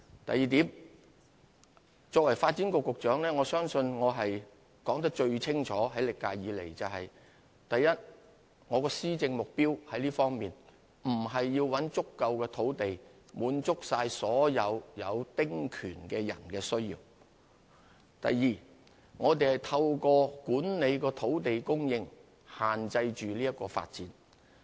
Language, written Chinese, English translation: Cantonese, 第二，作為發展局局長，我相信我在歷屆以來說得最清楚，就是：第一，我們的施政目標並不是要尋找足夠土地以滿足所有丁權擁有人的需要；第二，我們透過管理土地供應，限制這項發展。, Secondly as Secretary for Development I believe I have made the following point much more clearly than the previous terms of Government did first it is not our policy objective to find adequate land to satisfy the needs of all holders of small house concessionary rights; second we restrain this development through managing land supply